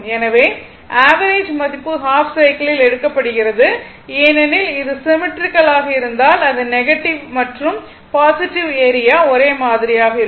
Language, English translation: Tamil, So, the average value is taken over the half cycle because, if it is symmetrical, that I told you the negative and positive area and negative area will be same